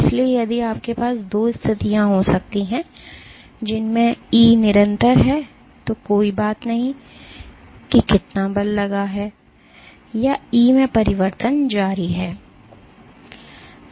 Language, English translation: Hindi, So, if you can have two situations in which E is constant no matter how much force is exerted or E continues to change